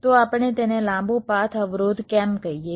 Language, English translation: Gujarati, so why do we call it a long, long path constraint